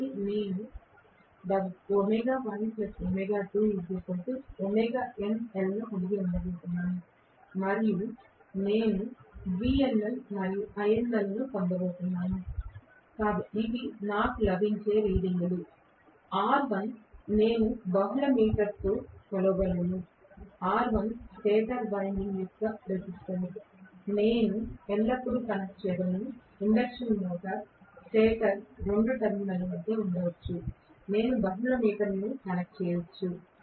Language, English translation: Telugu, So, this is the no load test, so I am going to have W1 plus W2 equal to W no load, and I am going to have V no load and I no load, these are the readings that I get, R1 I would be able to measure just with a multi meter it is not a big deal, R1 is the resistance of the stator winding, I can always connect may be between 2 terminal of the induction motor stator, I can connect a multi meter